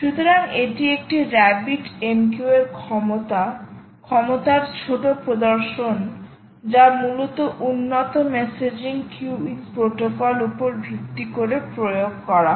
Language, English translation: Bengali, so this is a mini demonstration of the capabilities of a rabbit mq which essentially is implemented based on the advanced messaging queuing protocol